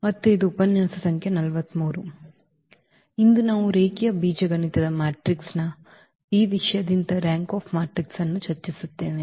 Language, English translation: Kannada, And today we will discuss Rank of a Matrix from this topic of the matrix which are linear algebra